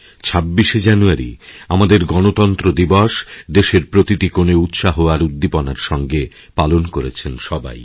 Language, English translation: Bengali, 26th January, our Republic Day was celebrated with joy and enthusiasm in every nook and corner of the nation by all of us